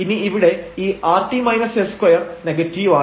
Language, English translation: Malayalam, So, this time now this rt minus s square is negative